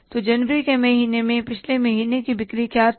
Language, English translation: Hindi, So in the month of January, what was the previous month sales